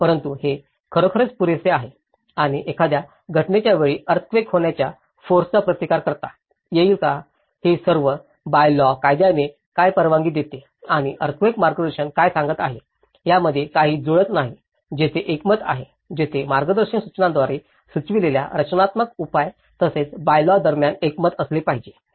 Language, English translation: Marathi, But is it really worth enough and whether it can resist that earthquake forces during the time of an event so, these are all some mismatches between what the building by laws permits and what the earthquake guidance is telling so, there is a consensus, there should be a consensus between the bylaws and as well as the structural measures which the guidance manual suggests